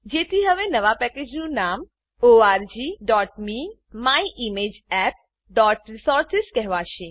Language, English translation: Gujarati, So the new package is now called org.me.myimageapp.resources